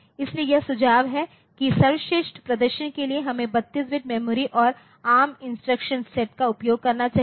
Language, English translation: Hindi, So, this is the suggestion like for best performance we should use 32 bit memory and ARM instruction sets